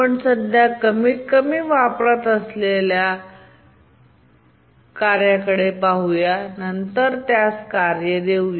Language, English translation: Marathi, We look at the one which is currently the least utilized and then assign the task to that